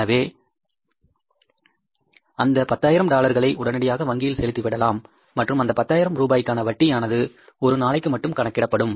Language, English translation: Tamil, So, that $10,000 immediately will return back to the bank and interest will be charged on for that 10,000 only and for a period of 24 hours means one day